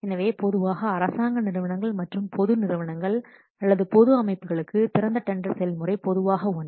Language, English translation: Tamil, So, for normally government organizations and public organizations or public bodies, open tendering process normally it is compulsory